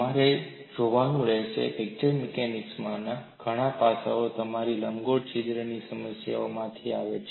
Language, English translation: Gujarati, What you will have to look at is many aspects in fracture mechanics come from your problem of elliptical hole